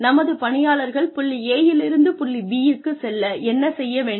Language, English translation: Tamil, And, what do our employees need to get from point A to point B